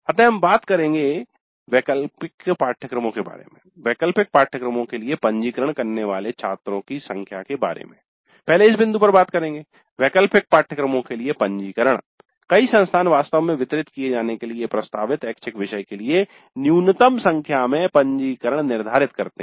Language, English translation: Hindi, Then the number of students who register for the elective courses, the registrants for the elective courses, many institutes stipulate a minimum number of registrants for an offered elective for it to be actually delivered